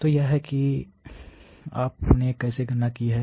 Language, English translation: Hindi, So, this is how you have calculated